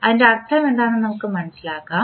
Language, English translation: Malayalam, Let us understand what does it mean